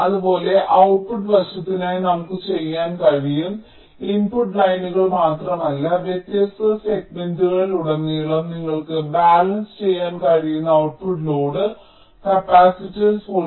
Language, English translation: Malayalam, similarly we can do for the output side, like, not only the input lines but also the output load capacitance you can balance across the different ah sigma